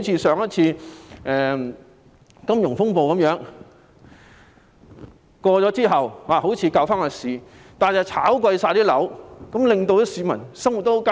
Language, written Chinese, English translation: Cantonese, 上次的金融風暴過去後，政府好像挽救了市道，卻令樓價上升，市民的生活十分艱難。, After the financial turmoil last time the Government seemed to have rescued the market at the expense of hikes in property prices which caused great hardship on peoples livelihood